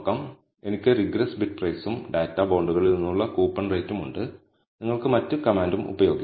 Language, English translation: Malayalam, So, I have regress bid price versus coupon rate from the data bonds, you can also use the other command